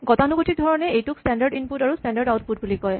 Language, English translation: Assamese, Traditionally, these modes are called standard input and standard output